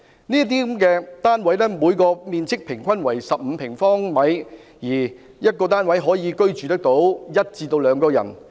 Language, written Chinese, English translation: Cantonese, 這些單位的平均面積為15平方米，每個單位可以居住約1至2人。, These flats will be of 15 sq m in average for household of one to two persons